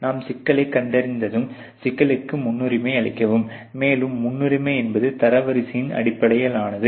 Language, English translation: Tamil, Once you identify the problem, you prioritize the problem, and priority is are based on the ranking